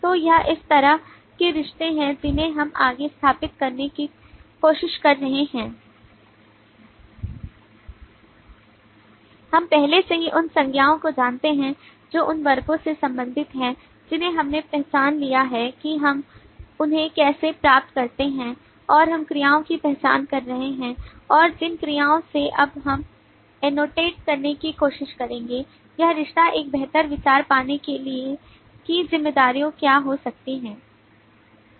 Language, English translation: Hindi, so this is the kind of relationships that we are trying to set forth we already know the nouns corresponding to the classes that we have identified that is how we got them and we are identifying the verbs and from the verbs we will now try to annotate on this relationship to get a better idea of what the responsibilities could be